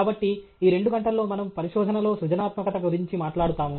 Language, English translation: Telugu, So, these two hours we will talk about Creativity in Research